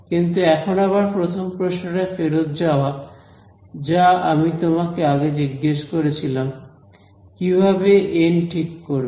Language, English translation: Bengali, But let us get back to this the first question which I asked you how you chose n right